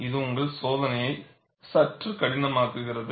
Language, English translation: Tamil, So, this makes your testing also a bit difficult